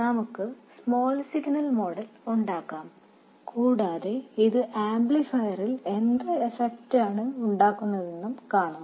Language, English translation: Malayalam, We will derive the small signal model and see what effect it has on the amplifier